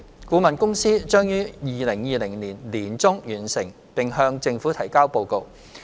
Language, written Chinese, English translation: Cantonese, 顧問公司將在2020年年中完成並向政府提交報告。, The consultancy firm will complete their review and submit the consultancy report in around mid - 2020